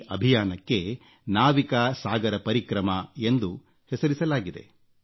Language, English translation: Kannada, The expedition has been named, Navika Sagar Parikrama